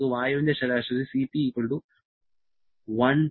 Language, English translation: Malayalam, Let us take Cp average for air to be=1